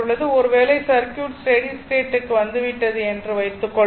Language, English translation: Tamil, So, and suppose and circuit has reached to a steady state